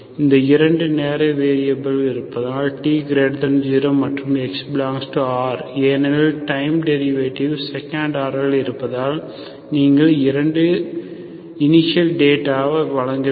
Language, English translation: Tamil, So because it has 2 time variables, okay, T is positive x belongs to R, so because time T, because second order, time derivative, second order you have to provide 2 initial data